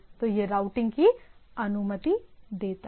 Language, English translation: Hindi, So, it allows routing on the thing